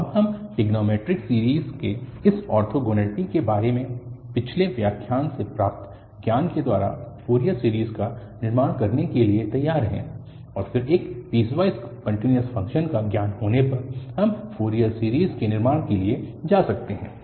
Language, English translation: Hindi, So, now we are ready to construct the Fourier series having the knowledge from the previous lecture about this orthogonality of the trigonometric series and then having the knowledge of what is a piecewise continuous function we can go for constructing the Fourier series